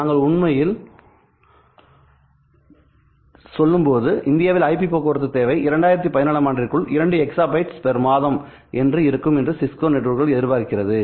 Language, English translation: Tamil, We expect that IP traffic or when I say we actually I mean the Cisco expects, Cisco networks expect that the IP traffic in India will exceed 2 exabytes per month by the year 2017